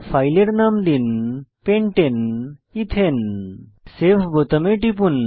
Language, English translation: Bengali, Enter the file name as Pentane ethane click on Save button